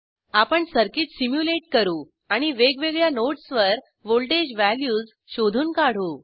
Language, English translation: Marathi, Now we will simulate this circuit, and find out voltage values at different nodes